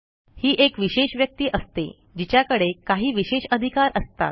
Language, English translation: Marathi, He is a special person with extra privileges